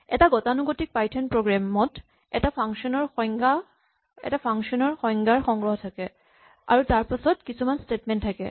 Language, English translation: Assamese, Remember we said that a typical python program will have a collection of function definitions followed by a bunch of statements